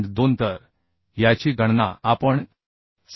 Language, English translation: Marathi, 2 So this we are calculating 688